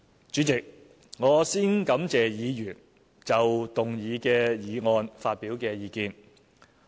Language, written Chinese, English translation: Cantonese, 主席，我先感謝議員就動議的議案發表的意見。, President first I would like to thank Members for their views on the motion